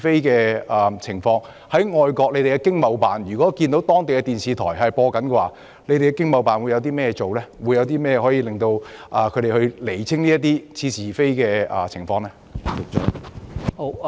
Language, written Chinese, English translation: Cantonese, 當駐外國的經貿辦看到當地電視台播出這類似是而非的報道時，會採取甚麼行動釐清相關情況呢？, When ETOs in foreign countries see such specious news broadcast by local television stations what action will they take to clarify the relevant cases?